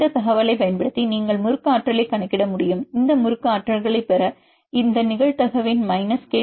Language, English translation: Tamil, Using this information you can calculate the torsion potentials is the minus kT logarithmic of this probability to get the torsion potentials